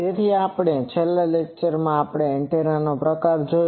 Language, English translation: Gujarati, So, in the last one we have seen a slot type of antenna